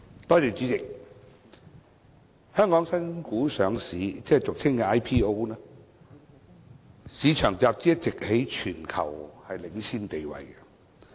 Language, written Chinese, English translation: Cantonese, 代理主席，香港新股上市市場集資一直在全球享有領先地位。, Deputy President Hong Kong has been holding the leading position in market capitalization of initial public offerings IPO in the globe